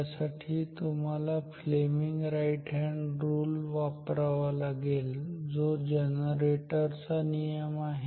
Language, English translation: Marathi, So, you have to apply Fleming’s right hand rule that is the rule for the generator